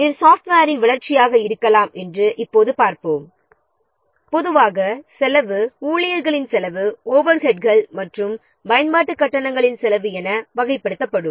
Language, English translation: Tamil, And now let's see for might be development of software, normally the cost are categorized and follows like the staff cost overheads and usage charges